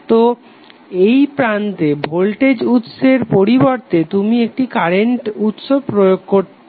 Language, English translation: Bengali, So instead of voltage source across these two terminals you will apply one current source